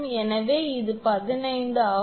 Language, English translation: Tamil, This is equation 15